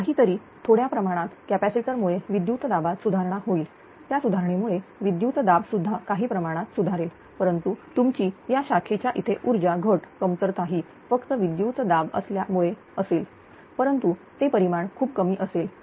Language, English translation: Marathi, Whatever little bit because of this capacitor this voltage this voltage will improved because of the improvement this voltage also to some extent will improved right, but your power loss at this branch, reduction will be just only due to this voltage improvement, but that magnitude will be very less